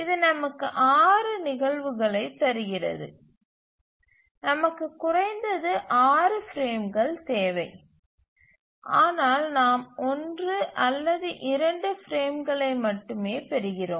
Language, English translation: Tamil, So that gives us six instances and we need at least six frames but then we are getting only either one or two frames